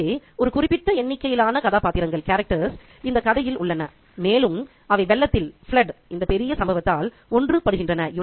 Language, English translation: Tamil, So, there is a specific number of characters and they are united by this larger incident of flooding